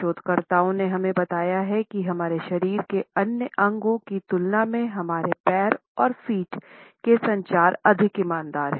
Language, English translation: Hindi, Researchers have told us that our legs and feet are more honest in communication in comparison to other body parts of us